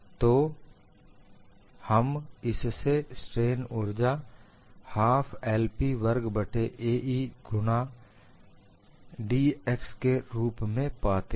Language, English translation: Hindi, So, you will get this as strain energy as one half of 0 to l P squared by A E into d x